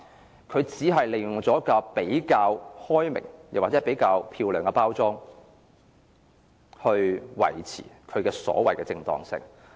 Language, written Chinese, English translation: Cantonese, 不過，政府只是利用比較開明，或比較漂亮的包裝來維持其所謂的正當性。, Only that the RSA control was packaged in a more liberal and beautiful way in a bid to maintain the legitimacy of the Government